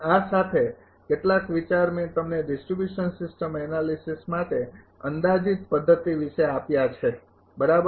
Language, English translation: Gujarati, With this that some idea, I have given you regarding approximate method for distribution system analysis right